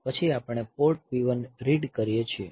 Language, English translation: Gujarati, So, first the port P 0 has to be read